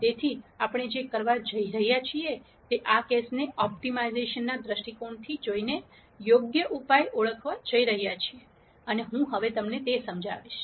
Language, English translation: Gujarati, So, what we are going to do is, we are going to identify an appropriate solution by viewing this case from an optimization perspective and I explain what that is presently